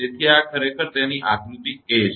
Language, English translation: Gujarati, So, this is actually its figure a